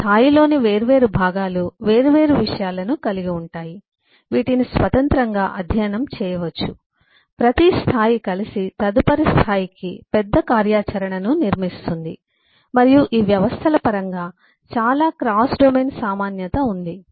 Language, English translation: Telugu, the different components in a level have separate concerns which can be independently studied, put together every level, build up a bigger functionality for the next level, and there are lot of cross domain commonality in terms of these systems